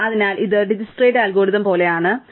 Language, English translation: Malayalam, So, this is very similar to Dijkstra's algorithm, right